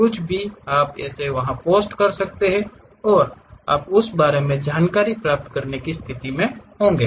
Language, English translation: Hindi, Anything you can really post it there and you will be in a position to really get the information about that